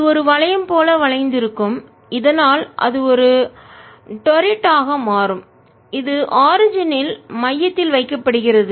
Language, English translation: Tamil, it is bent into a ring so that it becomes a torrid which is kept at center, at the origin